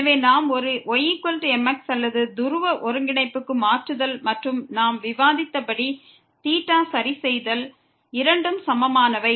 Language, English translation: Tamil, So, we take a is equal to or changing to polar coordinate and fixing theta as we discussed both are equivalent